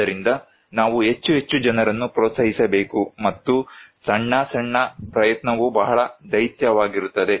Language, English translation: Kannada, So we should encourage more and more people and small, small, small effort could be very gigantic